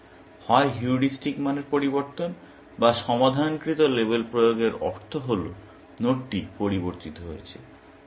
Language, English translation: Bengali, So, either a change of heuristic value, or the application of solved label means that the node has changed